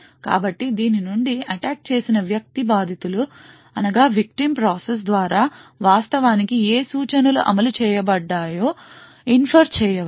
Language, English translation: Telugu, So from this the attacker can infer what instructions were actually executed by the victim process